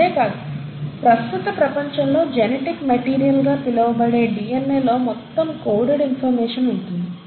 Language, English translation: Telugu, And not just that, even in today’s world, where DNA, the so called our genetic material which has the entire coded information